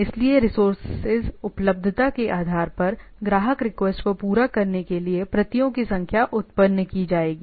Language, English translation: Hindi, So as much as based on the resource availability, the amount of the number of copies will be going on serving the client request